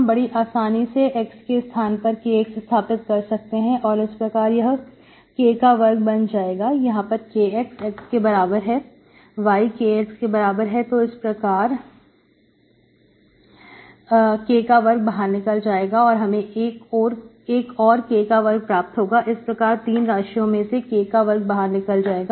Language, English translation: Hindi, You can easily see, put x equal to Kx, it becomes K square, here x equal to Kx, y equal to Kx, you can have K square comes out, y equal to K, you have another K square, so finally out of all the 3 terms, K square comes out here and the denominator also you have a K square when you replace x by Kx